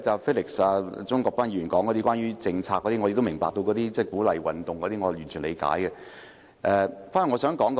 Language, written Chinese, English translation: Cantonese, 至於鍾國斌議員，他談到政策方面的問題，我明白需要鼓勵運動，我是完全理解的。, In Mr CHUNG Kwok - pans speech he has talked about the policy aspect of the issue . I know there is a need to promote sports activities . I fully understand this